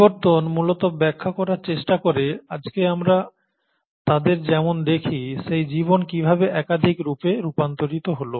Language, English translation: Bengali, Evolution essentially tries to explain, how life must have diversified into multiple forms as we see them today